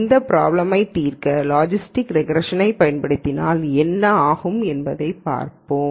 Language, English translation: Tamil, So, let us see what happens if we use logistic regression to solve this problem